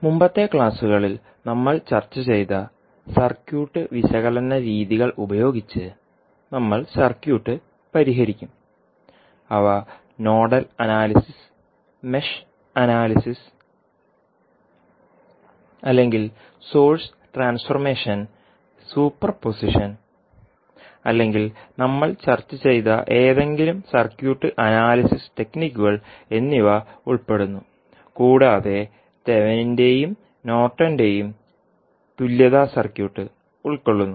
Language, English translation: Malayalam, And then we will solve the circuit using the circuit analysis techniques which we discussed in the previous classes those are like nodal analysis, mesh analysis or may be source transformation, superposition or any circuit analysis techniques which we discussed this includes your Thevenin’s and Norton’s equivalent’s also